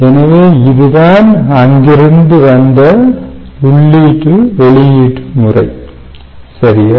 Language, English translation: Tamil, so thats the input output method comes from there